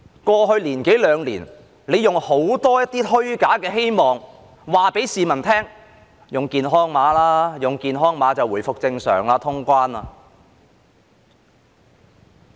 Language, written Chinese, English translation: Cantonese, 過去一兩年，政府用很多虛假希望，告訴市民："用健康碼吧，用健康碼便可回復正常，可以通關。, In the past one or two years the Government has given the public a lot of false hopes saying Let us use the health code . If we use it we will be able to return to normal and resume cross - border travel . Get vaccinated